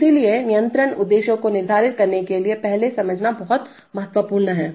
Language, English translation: Hindi, So that is very important to understand before setting the control objectives